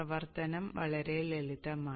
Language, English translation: Malayalam, The operation is pretty simple